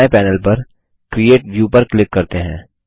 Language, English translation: Hindi, Let us click on Create View on the right panel